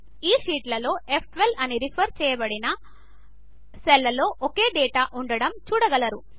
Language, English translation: Telugu, We see that in each of these sheets, the cell referenced as F12 contains the same data